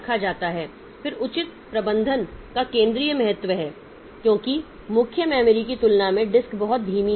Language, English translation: Hindi, Then proper management is of central importance because the disk is much slower than main memory